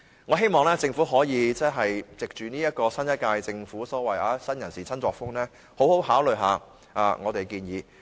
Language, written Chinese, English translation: Cantonese, 我希望政府可以藉着新一屆政府所謂新人事、新作風，好好考慮我們的建議。, I hope that the Government can take advantage of the new crew and new style to give due consideration to our proposals